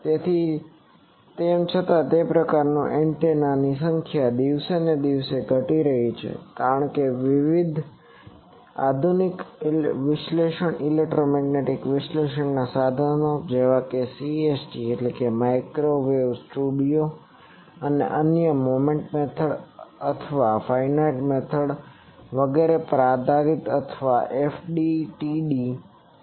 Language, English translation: Gujarati, So, though that type of antennas are falling day by day in number because, various modern analysis electromagnetic analysis tools like CST Microwave studio and others or based on Moment method or finite element method etc